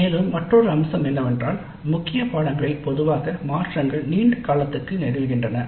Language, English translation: Tamil, And also another aspect is that generally changes in the core courses happen over longer periods